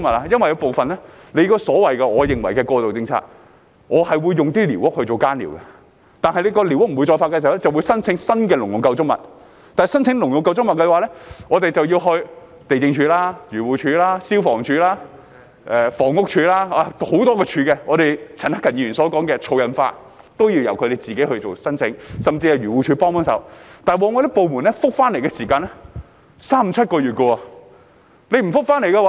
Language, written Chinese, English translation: Cantonese, 因為在我認為的過渡政策下，我會用寮屋作耕寮，但既然當局不再批予寮屋牌照，我就會申請興建新的農用構築物，但申請興建農用構築物，便要前往地政總署、漁農自然護理署、消防處及房屋署，有很多"署"——正如陳克勤議員形容的"儲印花"一樣——都要自行申請，甚至需要漁護署協助，但部門的回覆往往需時三五七個月；沒有回覆的話......, Why does it mention agricultural structures? . It is because under what I consider to be interim policies I would use squatter structures as agricultural sheds but since the authorities no longer grant licences for squatter structures I would apply for construction of new agricultural structures . However applications for construction of agricultural structures have to be made to the Lands Department the Agriculture Fisheries and Conservation Department AFCD the Fire Services Department FSD and the Housing Department HD and many of these departments require in - person applications―just like collection of trading stamps as Mr CHAN Hak - kan put it―and even assistance from AFCD but it often takes three five or seven months for the departments to reply